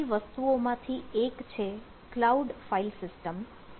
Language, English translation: Gujarati, so one of the predominant thing is cloud file